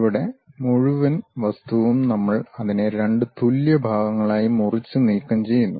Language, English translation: Malayalam, And, here the entire object we are slicing it into two equal parts and remove it